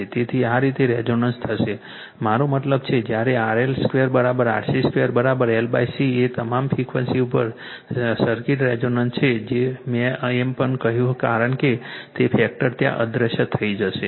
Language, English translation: Gujarati, So, this way resonant will happen right, but when RL squareI mean is equal to RC square is equal to L by C the circuit is resonant at all frequencies right that also I told you because that factor tau will vanish right